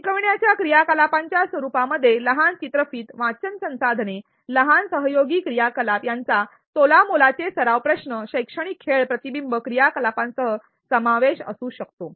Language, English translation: Marathi, The nature of teaching learning activities may include short videos, reading resources, small collaborative activities with peers practice questions educational games reflection activities